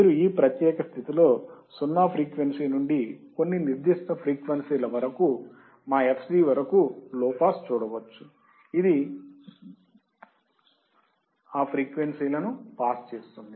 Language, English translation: Telugu, You can see here in this particular condition low pass from 0 to certain frequency that is our fc, it will pass the frequencies